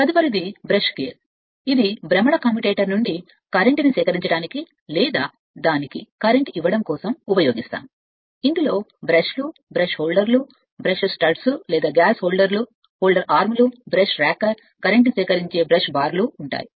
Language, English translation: Telugu, Next is brush gear to collect current from a rotating commutator your commutator, or to feed current to it use is a made of brush gear which consists of brushes, brush holders, brush studs, or glass holder arms, brush rocker, current collecting, brush bars right